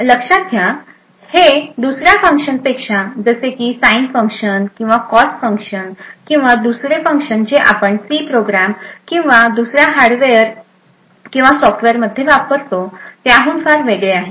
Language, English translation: Marathi, So, note that this is very different from any other function like the sine function or cos function or any other functions that we typically implement as a C program or any software or hardware